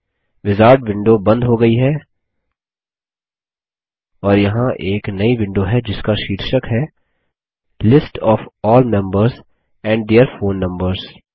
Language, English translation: Hindi, The wizard window has closed and there is a new window whose title says, List of all members and their phone numbers